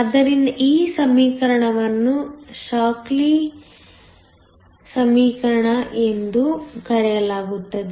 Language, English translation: Kannada, So, this equation is called the Shockley equation